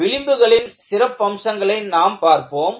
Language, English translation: Tamil, Let us, look at the features of the fringe